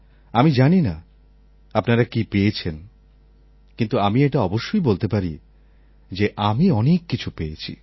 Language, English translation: Bengali, I am not sure of what you gained, but I can certainly say that I gained a lot